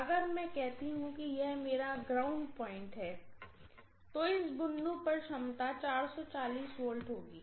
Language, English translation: Hindi, Now if I say that is this is my ground point with respect to this the potential at this point will be 440 V clearly, right